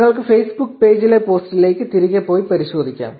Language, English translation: Malayalam, You can go back to the post on the Facebook page and verify